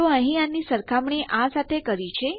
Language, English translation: Gujarati, Okay so weve compared this here to this here